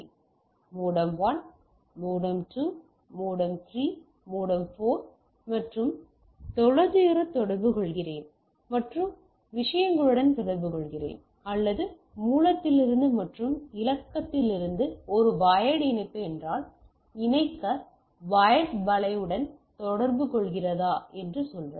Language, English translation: Tamil, So, to say if I am communicating distance where modem 1, modem 2, modem 3, modem 4 and communicating with the things or even it is communicating with a wired mesh to connect if means a wired connectivity from the source and destination